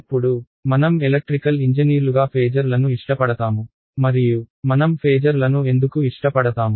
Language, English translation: Telugu, Now, as it turns out we are all electrical engineers and we like phasors and why do we like phasors